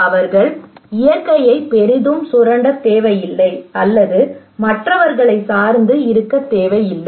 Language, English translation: Tamil, They do not need to exploit the nature at tremendously or do not need to depend on others okay